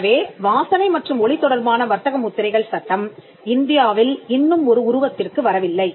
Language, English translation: Tamil, So, we the law with regard to smell sound and trademarks is still not crystallized in India